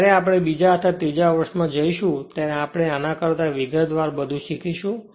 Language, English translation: Gujarati, When you will go to the second or third year you will learn much more than this this one and everything in detail right